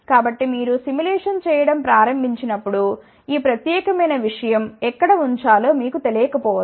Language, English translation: Telugu, So, suppose when you start doing the simulation you may not know where to put this particular thing